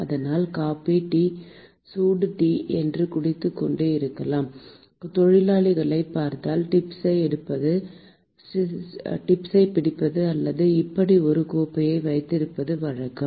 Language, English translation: Tamil, So, if you look at the workers who are like drinking coffee and tea, the hot tea, they usually hold the tip or they hold a cup like this